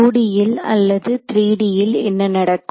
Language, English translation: Tamil, What will happen in 2D or 3D